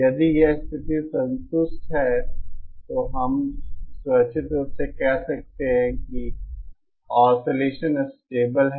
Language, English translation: Hindi, If this condition is satisfied then we can safely say that the oscillation is stable